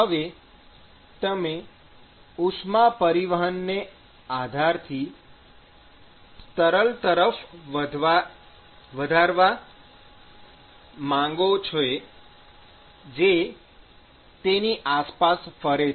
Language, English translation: Gujarati, Now you want to increase the heat transport from the base to the fluid which is circulating around